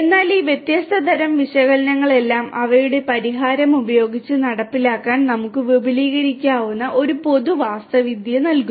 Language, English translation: Malayalam, But gives a common architecture where we could extend to implement all these different types of analytics using their solution